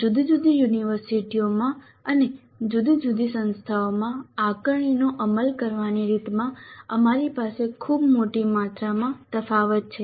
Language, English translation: Gujarati, We have a very large amount of variation in the way the assessment is implemented in different universities, different institutions